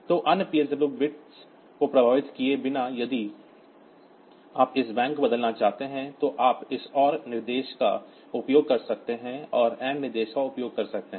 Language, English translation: Hindi, So, without affecting other PSW bits, so if you want to change this bank fillet, then you can use this OR instruction or say AND instruction